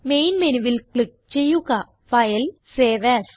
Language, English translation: Malayalam, From the Main menu, click File and Save As